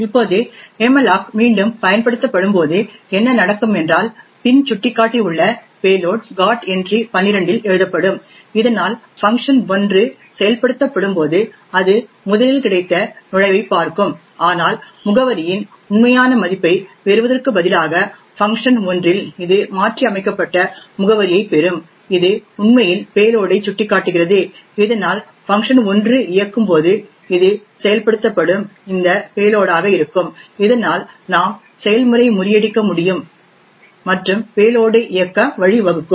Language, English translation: Tamil, Now when malloc gets invoked yet again what would happen is that the payload present in the back pointer gets written into the GOT entry minus 12 thus when function 1 gets invoked it will first look up the got entry but instead of getting the actual value of the address of function 1 it will get the modified address which is actually pointing to the payload thus when function 1 executes it would be this payload that gets executed, thus we are able to subvert execution and cause the payload to execute